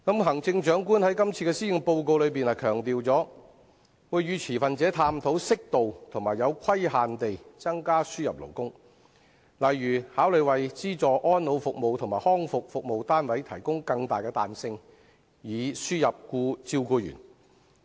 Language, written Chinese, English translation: Cantonese, 行政長官在今年的施政報告中強調會與持份者探討適度和有規限地增加輸入勞工，例如考慮為資助安老服務及康復服務單位提供更大彈性，以輸入照顧員。, In the Policy Address this year the Chief Executive stressed that discussions will be held with stakeholders on a modest and restrictive increase of the importation of labour . For example consideration should be given to providing more flexibility to import carers for the subsidized elderly care and rehabilitation services units